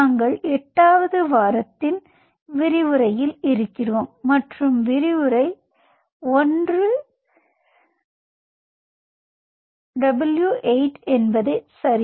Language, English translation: Tamil, so so we are in to week eight and lecture one w eight l one